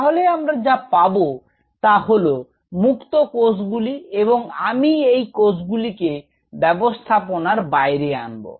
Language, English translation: Bengali, So, what I have are individual cells and if I take this cell outside the system